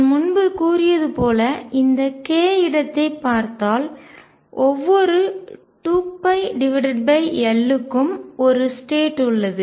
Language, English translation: Tamil, So, as I said earlier if I look at this case space every 2 pi by L there is one state